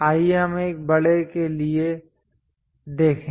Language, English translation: Hindi, Let us look at bigger one 8